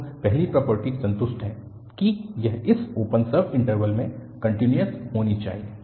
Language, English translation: Hindi, So, the first property is satisfied that it should be continuous in these open subintervals